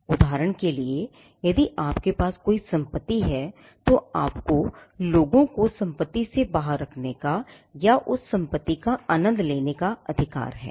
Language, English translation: Hindi, For instance, if you own a property, then you have a right to exclude people from getting into the property or enjoying that property